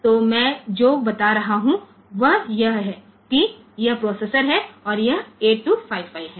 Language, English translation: Hindi, So, what I am telling is that this is the processor and this is the 8255